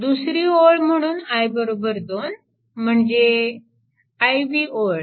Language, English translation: Marathi, And i is equal to 2 means ah ith row